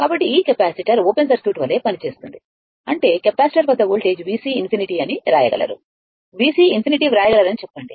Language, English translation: Telugu, So, this capacitor will act as open circuit right; that means, that means voltage across the capacitor say, we can write V C infinity right; say we can write V C infinity